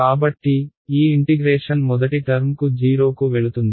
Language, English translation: Telugu, So, this integration goes to the first term goes to 0